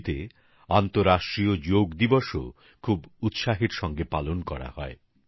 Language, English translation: Bengali, The International Day of Yoga is also celebrated with great fervor in Chile